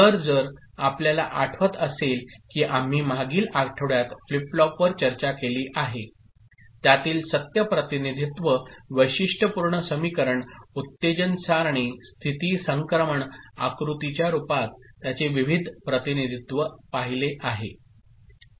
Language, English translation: Marathi, So, if you remember we discussed flip flops in the previous week, its various representations in the form of truth table, characteristic equation, excitation table, state transition diagram